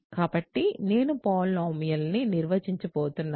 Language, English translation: Telugu, So, I am going to define a polynomial